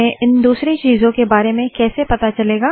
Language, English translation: Hindi, How does one know about other things